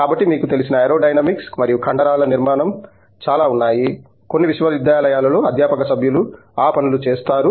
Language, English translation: Telugu, So, there is lot of aerodynamics you know and structures of muscles and stuff that there are faculty members in some universities that do those things